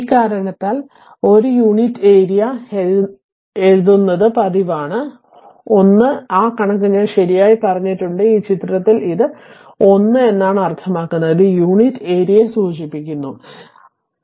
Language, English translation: Malayalam, But to this reason, it is customary to write 1 denoting unit area, 1 that figure I told you here right, it is in this figure here I told you that it is 1 means it is denoting your unit area